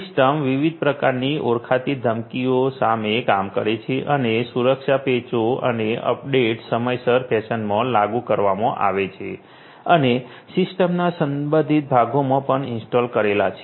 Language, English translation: Gujarati, The system works against different types of identified threats and the security patches and updates are implemented in a timely fashion and are also installed in the relevant parts of the system and so on